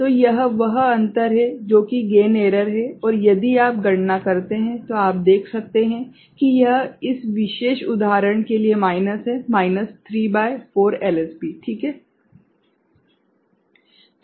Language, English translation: Hindi, So, this is the difference that is the gain error, and if you calculate, you can see that this is minus for this particular example minus 3 by 4 LSB ok